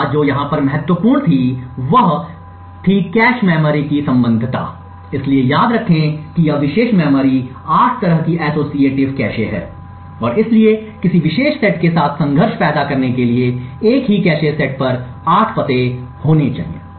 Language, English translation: Hindi, One thing what was important over here was that the associativity of the cache memory, so recollect that this particular memory is an 8 way associative cache and therefore in order to create conflict with a particular set there should be 8 addresses following on the same cache set